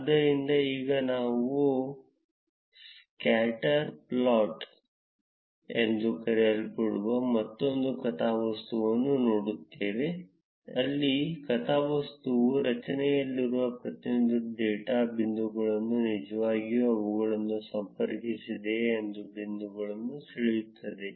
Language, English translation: Kannada, So, now we look at another plot which is called a scatter plot where the plot draws a point for each of the data points in the array without really connecting them